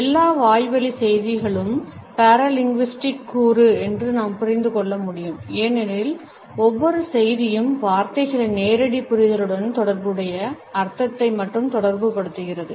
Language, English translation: Tamil, We can understand that all oral messages have paralinguistic component because every message communicates not only the meaning associated with the literal understanding of the words